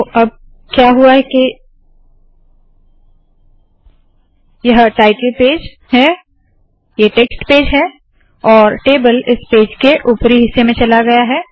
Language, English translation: Hindi, So now what has happened is this is the title page, this is the text page, the table has been floated, it has gone to the top of this page